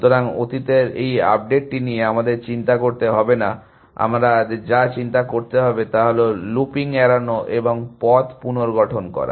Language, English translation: Bengali, So, this updating of past we do not have to worry about that, what we do have to worry about is avoid looping and reconstruct path